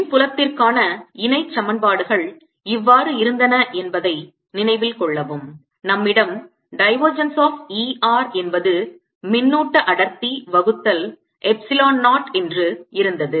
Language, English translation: Tamil, recall that the, the parallel equation for electric fields for like this, that we had divergence of e r to be the charge density divided by epsilon zero and curl of e everywhere is zero